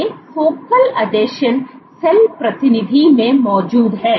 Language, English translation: Hindi, These focal adhesions are present at the cell periphery